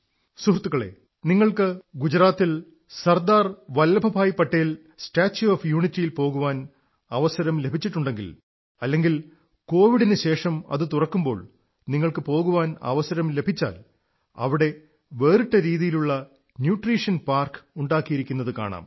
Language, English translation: Malayalam, Friends, if you have had the opportunity to visit the Statue of Unity of Sardar Vallabhbhai Patel in Gujarat, and when it opens after Covid Pandemic ends, you will have the opportunity to visit this spot